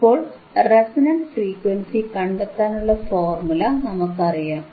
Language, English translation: Malayalam, Now, we know the formula for resonant frequency, we know the formula for resonant frequency